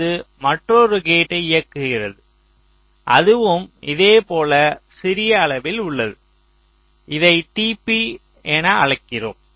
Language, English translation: Tamil, so it is driving another gate which is also of the same smallest size that you are calling as t p